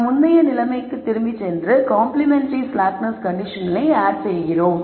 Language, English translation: Tamil, We go back and add the complementary slackness conditions